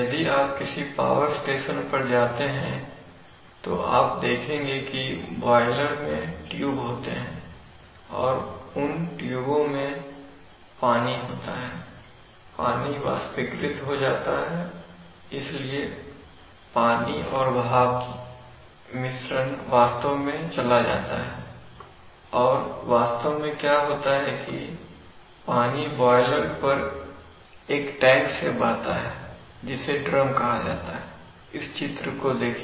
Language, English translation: Hindi, Of an inverse response process, you know, boiler drum means that all boilers, if you go to a power station then what happens is that the boilers have tubes in them and in those tubes water is, water vaporizes, so the water steam mixture actually goes and actually what happens is the water flows from a tank on the boiler which is called the drum, so let us get the picture